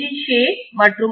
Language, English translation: Tamil, Say and O